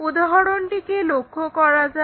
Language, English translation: Bengali, Let us look at that example